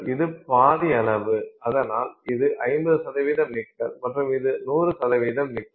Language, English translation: Tamil, So this is 50 percent nickel and this is 100 percent nickel